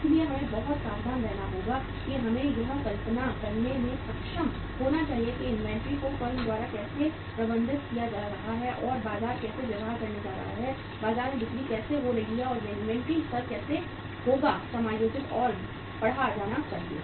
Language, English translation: Hindi, So we have to be very careful that we should be able to visualize how the inventory is going to be managed by the firm and how the market is going to behave, how the sales are going to take place in the market and how the inventory level should be adjusted and readjusted